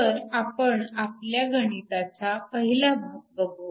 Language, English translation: Marathi, So, we look at the first part of the problem